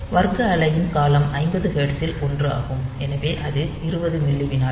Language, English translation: Tamil, So, period of the square wave is 1 upon 50 hertz; so, that is 20 millisecond